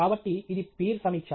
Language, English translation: Telugu, So, it is peer review